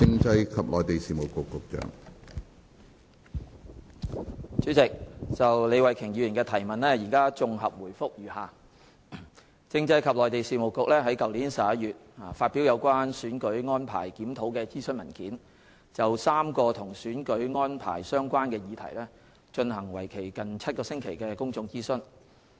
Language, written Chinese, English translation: Cantonese, 主席，就李慧琼議員的質詢，現綜合答覆如下。政制及內地事務局於去年11月發表《有關選舉安排檢討的諮詢文件》，就3個與選舉安排相關的議題進行為期近7星期的公眾諮詢。, President my reply to Ms Starry LEEs question is as follows The Constitutional and Mainland Affairs Bureau published the Consultation Paper on Review of Electoral Arrangements in November last year and launched a public consultation that lasted for about seven weeks on three issues related to electoral arrangements